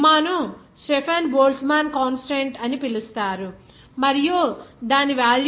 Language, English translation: Telugu, This sigma is called the Stefan Boltzmann constant and its value is 5